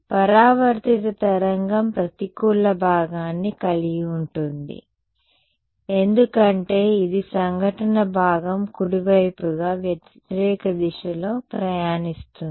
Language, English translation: Telugu, The reflected wave will have a negative component because, this travelling in the opposite direction as the incident part right